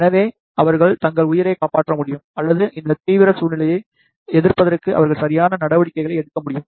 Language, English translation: Tamil, So, that they can save their life or they can take the proper measures to counter attack these extreme situation